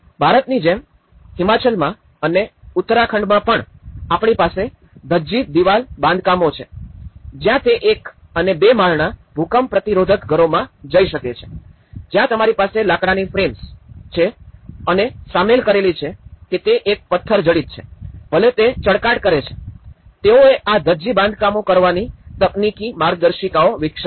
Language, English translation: Gujarati, Like in India, also in Himachal and as well as in Uttarakhand, we have the Dhajji wall constructions where it can go of the one and two storey earthquake resistant houses, where you have the timber frames and the embedded whether it is a stone embedded, whether it is cobbles or pebbles, whether is a flint filling it so, they have developed the technical manuals of doing this Dhajji constructions